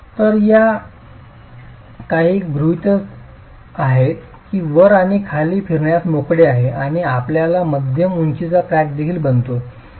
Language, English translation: Marathi, So, these are some assumptions that the top and the bottom are free to rotate and you get a mid height crack also forming